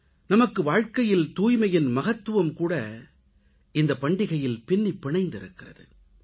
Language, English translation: Tamil, The expression of the significance of cleanliness in our lives is intrinsic to this festival